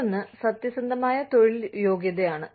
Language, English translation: Malayalam, The other is bona fide occupational qualification